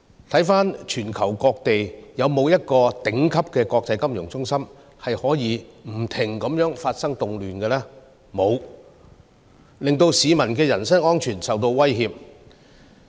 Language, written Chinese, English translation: Cantonese, 回看全球各地，有沒有一個頂級的國際金融中心，可以不停地發生動亂，令市民的人身安全受到威脅？, They no longer dare to go out on weekends . Tourists do not dare to come to Hong Kong . Can any top - notch international financial centre in the world survive incessant riots so much as that peoples personal safety is under threat?